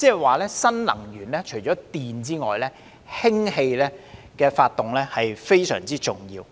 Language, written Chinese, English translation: Cantonese, 換言之，在新能源中，除電能外，氫能亦非常重要。, In other words apart from electrical energy hydrogen energy among various new energies will likewise play an important role